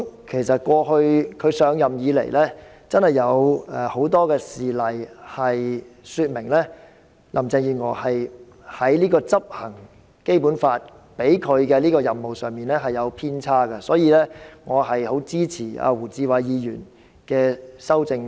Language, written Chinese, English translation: Cantonese, 其實自現任特首上任以來，真的有很多事例說明林鄭月娥在執行《基本法》賦予她的任務上有所偏差，所以，我很支持胡志偉議員的修正案。, Indeed since the current Chief Executive took helm there have been many incidents showing Carrie LAM has deviated from the responsibilities conferred to her by the Basic Law . Therefore I strongly support Mr WU Chi - wais amendment